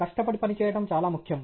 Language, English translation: Telugu, Hard work is very, very important